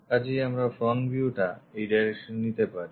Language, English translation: Bengali, So, we can pick front view as this direction